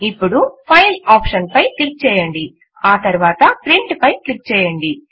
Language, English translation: Telugu, Now click on the File option and then click on Print